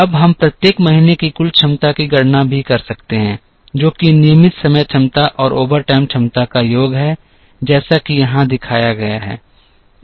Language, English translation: Hindi, Now, we can also calculate the total capacity in each month which is the sum of the regular time capacity and the overtime capacity as shown here